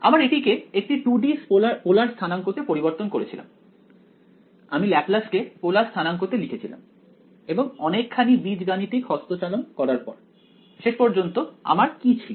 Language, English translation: Bengali, We converted it first to 2D polar coordinates I wrote down the Laplace in the polar coordinates and after some amount of algebraic manipulation, what did I end up with